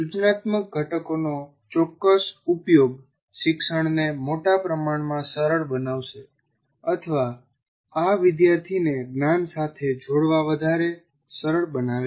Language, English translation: Gujarati, Certain use of instructional components will greatly facilitate learning or greatly facilitate the student to get engaged with the knowledge